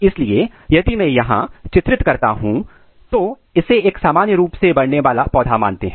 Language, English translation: Hindi, So, if I draw here, so you can see if let’s consider this is a typical growing plant